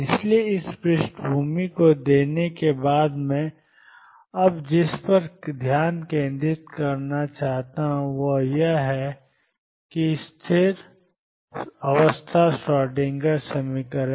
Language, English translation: Hindi, So, having given this background what I want to focus on now is this stationary state Schrödinger equation